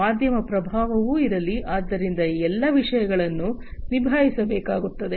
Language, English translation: Kannada, Media influence is also going to be there, so all these things will have to be handled